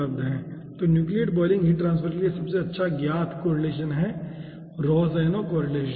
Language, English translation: Hindi, so the best known correlation for nucleate boiling, heat transfer, is rohsenow correlation